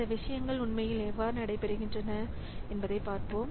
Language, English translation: Tamil, So, we'll see how these things are actually taking place